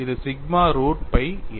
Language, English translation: Tamil, It is sigma root pi a